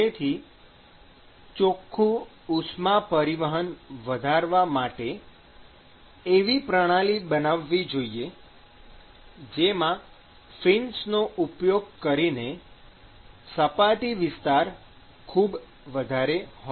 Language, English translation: Gujarati, So, in order to increase the net heat transport, you design a system which has very high surface area